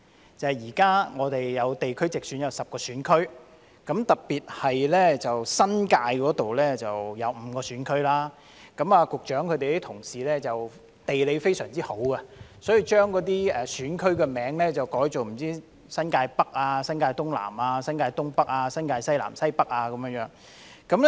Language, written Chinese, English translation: Cantonese, 那就是現在地區直選將設10個選區，特別是新界有5個選區；局長的同事的地理知識非常好，因此把選區名稱改為"新界北"、"新界東南"、"新界東北"、"新界西南"和"新界西北"。, That is for direct elections in geographical constituencies GCs the territories of Hong Kong will now be divided into 10 GCs; in particular the New Territories NT will be divided into 5 GCs . The colleagues of the Secretary have an excellent geographical knowledge and so they named GCs as NT North NT South East NT North East NT South West and NT North West